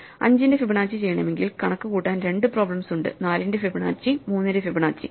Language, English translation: Malayalam, As Fibonacci of 5, leaves us with two problems to compute, Fibonacci of 4 and Fibonacci of 3